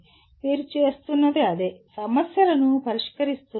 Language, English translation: Telugu, That is what you are doing, solving problems